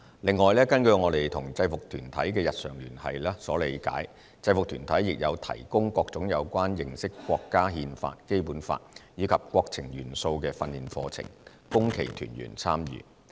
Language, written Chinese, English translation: Cantonese, 另外，根據我們與制服團體的日常聯繫所理解，制服團體亦有提供各種有關認識國家《憲法》、《基本法》，以及國情元素的訓練課程，供其團員參與。, In addition according to our regular communication with UGs we understand that they have provided various training programmes on promoting the understanding of the Constitution the Basic Law and national affairs for members participation